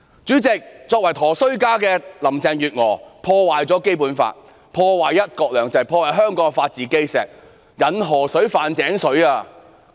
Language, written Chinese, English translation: Cantonese, 主席，"佗衰家"的林鄭月娥破壞《基本法》、"一國兩制"和香港的法治基石，引河水犯井水。, President the walking disaster Carrie LAM has undermined the Basic Law one country two systems and the foundation of the rule of law of Hong Kong attempting to mix river water with well water